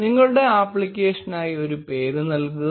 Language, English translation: Malayalam, Enter a name for your application